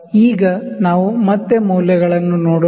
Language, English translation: Kannada, Now, let us see the readings again